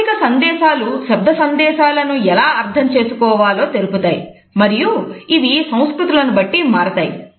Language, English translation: Telugu, So, nonverbal messages tell us how to interpret verbal messages and they may vary considerably across cultures